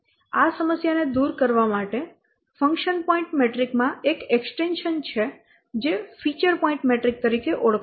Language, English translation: Gujarati, In order to overcome this problem, an extension to the function point metric is there, which is known as feature point metric